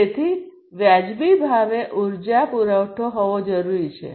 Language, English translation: Gujarati, So, it is required to have energy supply also at reasonable price